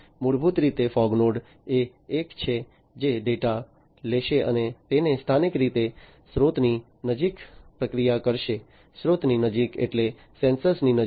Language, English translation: Gujarati, Basically, the fog node basically is the one, which will take the data and process it locally close to the source, close to the source means close to the sensors